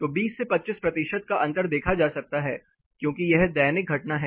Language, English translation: Hindi, So, 20 to 25 percent difference can be observed, because it is daily phenomena